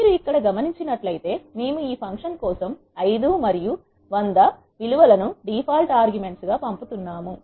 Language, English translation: Telugu, If you notice here we are passing this values of 5 and 100 as a default arguments for this function